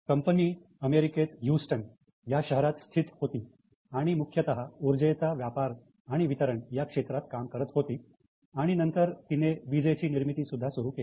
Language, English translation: Marathi, It was based in Houston mainly into energy trading and distribution and they had also started energy manufacturing